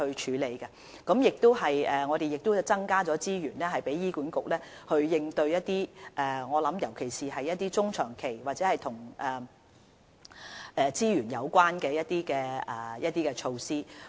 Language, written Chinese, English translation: Cantonese, 此外，我們亦增加資源讓醫管局作出應對，尤其是一些中、長期或與資源有關的措施。, Moreover we have also given more resources to HA so that it can take response actions especially medium - and long - term measures or those related to resources